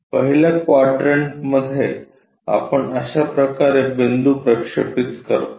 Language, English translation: Marathi, This is the way we project a point in the first quadrant